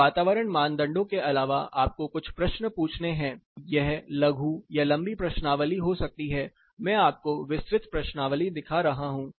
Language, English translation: Hindi, Apart from these environment criteria, you ask a set of questions it can be short questionnaire, it can be a long questionnaire this one I am showing you is a little exhaustive one